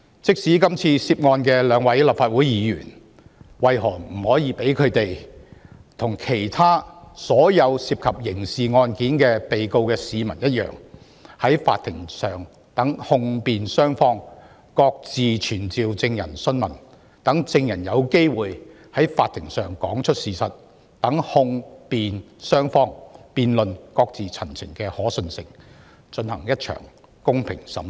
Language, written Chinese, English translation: Cantonese, 即使今次涉案的兩位人士是立法會議員，為何他們就不應與所有涉及刑事案件的市民一樣，讓控辯雙方各自傳召證人訊問，讓證人有機會在法庭上講出事實，讓控辯雙方辯論，各自陳情，進行公平審訊？, Even though the two persons implicated in the case are Members of the Legislative Council why should they be not treated in the same way as all people involved in criminal cases that the prosecution and defence each can summon their own witnesses for examination so that the witnesses have the chance to tell the truth in court and the prosecution and defence can engage in a debate and make representations on their own in a fair trial?